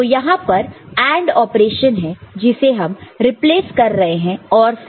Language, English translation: Hindi, So, this AND operation is replaced with OR